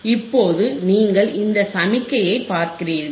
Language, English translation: Tamil, Now you see this signal